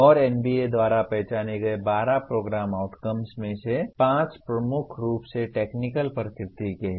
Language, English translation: Hindi, And out of the 12 Program Outcomes identified by NBA, the first 5 are dominantly technical in nature